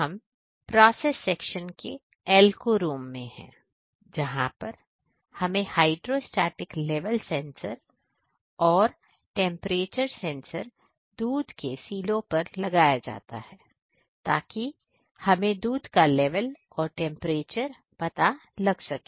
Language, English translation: Hindi, Now, we are at Alco rooms of a process sections, where we can see the how the hydrostatic level sensors and temperatures sensors are installed on milk silo to see the level of milk and temperatures of milk silos